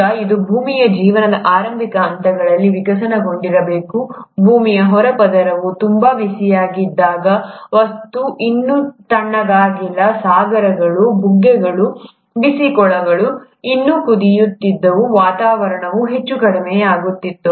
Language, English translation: Kannada, Now this must be the phase which must have evolved during the very early stages of earth’s life, when the earth’s crust was very hot, the material has still not cooled down, the oceans, the springs, the hot pools were still boiling, the atmosphere was highly reducing